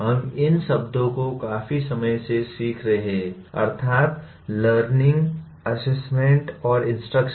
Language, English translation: Hindi, We have been using these words for quite some time namely the learning, assessment, and instruction